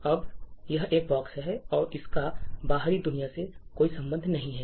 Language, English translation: Hindi, Now, this is a box and there is no connection to the outside world